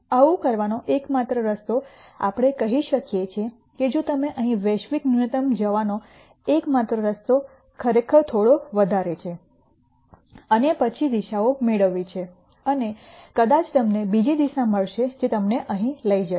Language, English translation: Gujarati, The only way to do it is let us say if you are here the only way to get to global minimum is to really climb up a little more and then nd directions and maybe you will nd another direction which takes you here